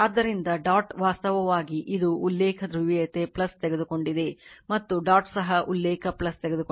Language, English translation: Kannada, So, dot actually it is that reference polarity plus you have taken and dot is also the reference will plus